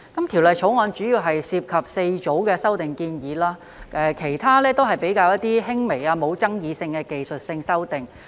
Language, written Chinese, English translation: Cantonese, 《條例草案》主要涉及4組的修訂建議，其他均是比較輕微、不具爭議性的技術性修訂。, The Bill mainly involves four groups of proposed amendments and the rest are mostly minor technical and non - controversial amendments . I am more concerned about the amendment to the High Court Ordinance Cap